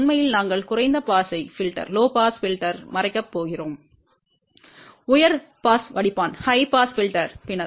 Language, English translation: Tamil, Actually we are going to cover low pass filter, high pass filter later on